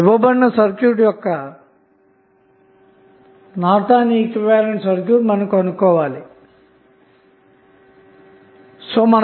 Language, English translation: Telugu, So, in this way you can find out the Norton's equivalent of the circuit which was given in the example